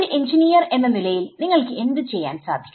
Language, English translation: Malayalam, As an engineer, what would you do